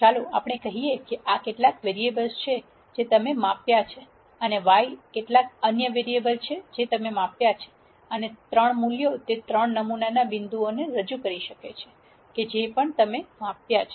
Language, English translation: Gujarati, Let us say this is some variable that you have measured and Y is some other variable you have measured and the 3 values could represent the 3 sampling points at which you measured these